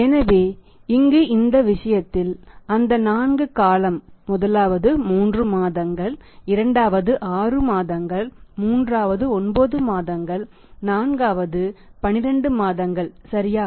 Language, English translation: Tamil, So, in this case we are taking the 4 time period first 3 month 2nd is 6 months third is 9 months fourth is 12 months right